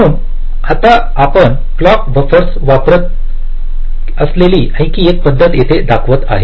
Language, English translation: Marathi, ok, so now another thing: we use the clock buffers here i am showing